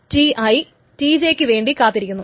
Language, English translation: Malayalam, I is waiting for TJ